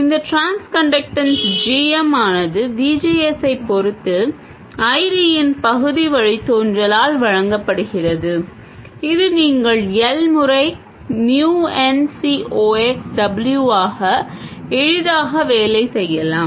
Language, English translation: Tamil, This transconductance GM is given by the partial derivative of ID with respect to VGS which you can easily work out to be Mion Ciox W